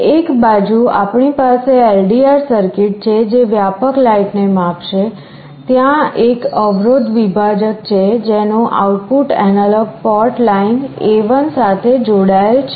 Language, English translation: Gujarati, On one side we have the LDR circuit that will be sensing the ambient light; there is a resistance divider the output of which is connected to the analog port line A1